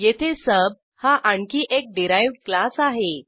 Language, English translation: Marathi, Here we have another derived class as sub